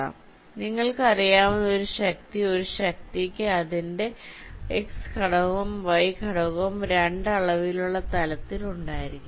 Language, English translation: Malayalam, so a force, you know, even if you are a mechanic a force will be having its x component and y component in a two dimension plane